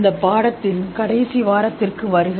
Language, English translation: Tamil, So, welcome to the last week of this course